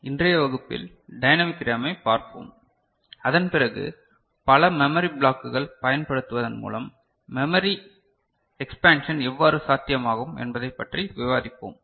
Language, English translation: Tamil, In today’s class, we shall look at dynamic RAM, and after that we shall discuss how memory expansion is possible by using multiple memory blocks, ok